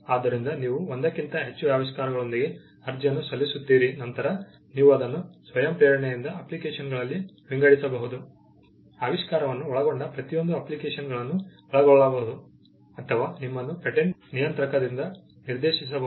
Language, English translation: Kannada, So, you file an application with more than one invention, then you can voluntarily divide it into the respective in applications, covering each application covering an invention, or you may be directed by the patent controller